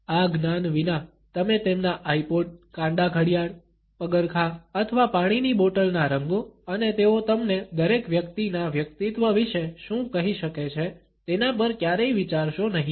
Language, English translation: Gujarati, Without this knowledge you would never consider the colors of their iPods, wristbands, shoes or water bottles and what they can tell you about each person’s personality